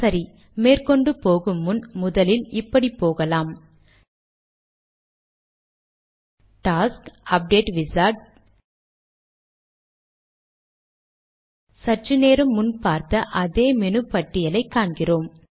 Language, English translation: Tamil, Alright, before we proceed with this, let us first go to the task, update wizard – we see the identical page we saw a little earlier